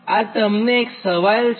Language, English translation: Gujarati, this a question to you